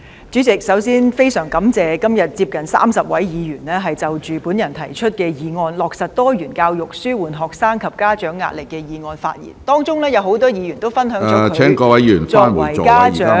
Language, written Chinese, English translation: Cantonese, 主席，首先，我非常感謝今天接近30位議員就我提出的"落實多元教育紓緩學生及家長壓力"議案發言，當中有很多議員分享了作為家長......, President first of all I am very grateful to the 30 or so Members who have spoken on my motion on Implementing diversified education to alleviate the pressure on students and parents and many of them have shared with us their experiences as parents